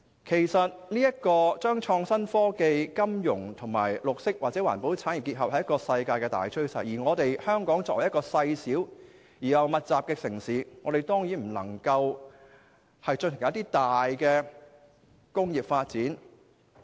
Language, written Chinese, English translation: Cantonese, 其實將創新科技、金融和綠色或環保產業結合是世界的大趨勢，而香港作為細小而人口稠密的城市，當然不能夠進行大型工業發展。, In fact it is the general trend of the world to integrate the innovation and technology industry financial industry and green or environmental industry . As Hong Kong is a small and densely populated city large - scale industrial development certainly cannot be carried out